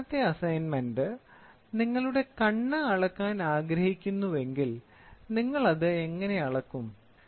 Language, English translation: Malayalam, And the last assignment is if I want to measure your eye, right, how will I do it